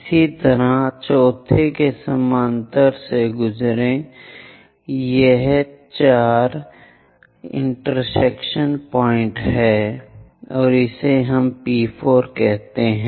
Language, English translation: Hindi, Similarly, pass parallel to this fourth one it intersects on 4 here so let us call P4 prime